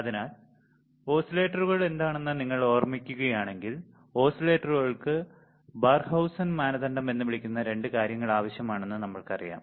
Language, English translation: Malayalam, So, if you if you recall what are the oscillators, we know that oscillators required two things which is called Barkhausen criteria